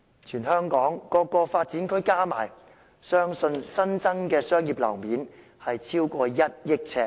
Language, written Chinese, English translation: Cantonese, 全香港各個發展區加起來，相信新增的商業樓面超過 1,000 億呎。, Combining the newly built commercial floor space in all development areas in Hong Kong I think it is over 100 billion sq ft